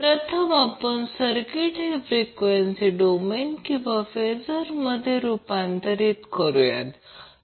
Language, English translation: Marathi, First, what we will do will transform the circuit to the phasor or frequency domain